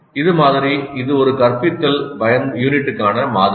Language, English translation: Tamil, This is the model and this is the model for one instructional unit